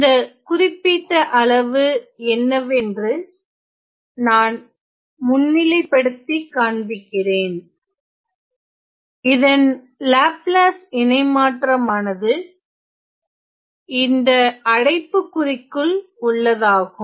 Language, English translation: Tamil, So, let me just highlight what is this particular quantity, whose Laplace transform is in this small bracket